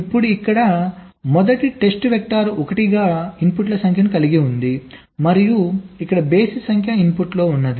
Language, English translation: Telugu, right now, here the first test vector is having even number of inputs as zero as one, and here is having odd number of input